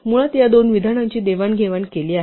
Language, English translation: Marathi, We have basically exchanged these two statements